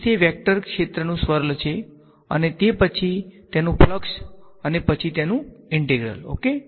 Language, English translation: Gujarati, So, it is the swirl of a vector field and after that the flux of that and then an integral ok